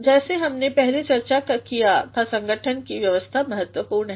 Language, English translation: Hindi, As we discussed earlier, arrangement of the organization is important